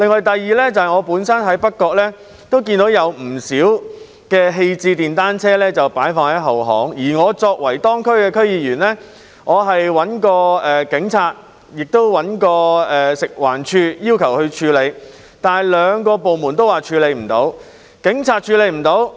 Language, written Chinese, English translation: Cantonese, 第二個例子是，我在北角也看到不少廢棄電單車棄置在後巷，而我作為當區的區議員，曾要求警方及食物環境衞生署處理，但兩個部門均表示無法處理。, The second case concerns the unwanted motorcycles which as I have discovered are abandoned in rear lanes in North Point . As a District Council member of that district I have requested the Police and the Food and Environmental Hygiene Department FEHD to deal with the matter but they have both said they are unable to do so